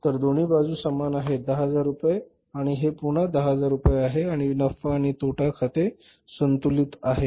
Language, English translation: Marathi, This is 10,000 and this is again 10,000 rupees and your profit and loss account is balanced